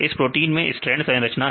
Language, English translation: Hindi, This is strand proteins